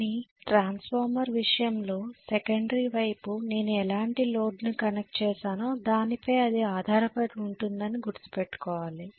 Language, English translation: Telugu, But please note in the case of transformer it depended upon what kind of load I connected on the secondary side